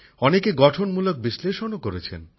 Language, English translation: Bengali, Many people have also offered Constructive Analysis